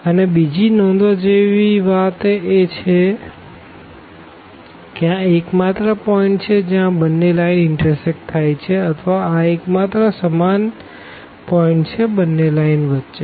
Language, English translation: Gujarati, And, the other point here to be noticed that this is the only point, this is the only point where these 2 lines intersect or this is the only common point on both the lines